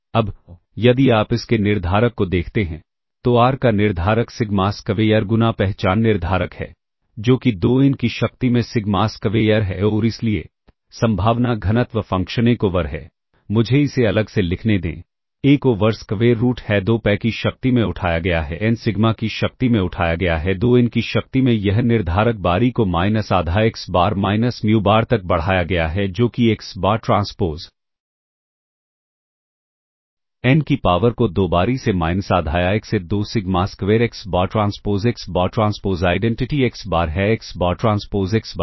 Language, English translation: Hindi, Now, if you look at the determinant of this, determinant of R is sigma square times identity, determinant of R is sigma square raise to the power of n, which is sigma to the power of 2 n and therefore, the probability density function is 1 over, Let me just write it separately, is 1 over square root of 2 pi raised to the power of n, sigma raised to the power of 2 n, that is the determinant times e raised to minus half xBar minus muBar that is xBar transpose R inverse; R sigma square identity; R inverse is identity divided by sigma square times xBar